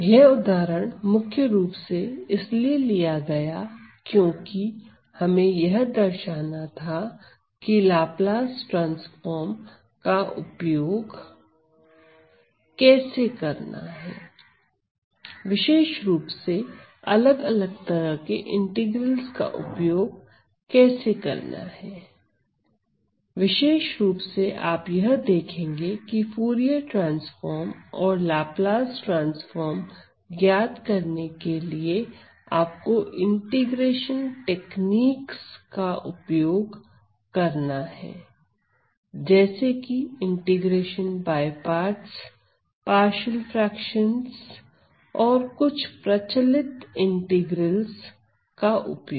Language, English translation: Hindi, So, this was this example was particularly taken because we wanted to show how to use Laplace transforms, specifically, how to use the different types of integrals and typically you will see that, in evaluating this Fourier transforms or Laplace transforms you have to resort to integration techniques let say integration by parts, partial fractions and using some well known integrals